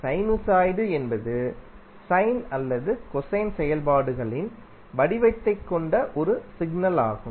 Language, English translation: Tamil, Sinosoid is a signal that has the form of sine or cosine functions